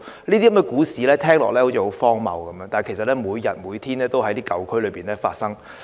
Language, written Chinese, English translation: Cantonese, 這些故事聽起來好像很荒謬，但其實每天也在舊區發生。, These stories may sound ridiculous but they are actually happening in the old districts every day